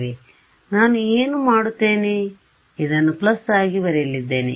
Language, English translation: Kannada, So, what I will do is I am going to write this as a plus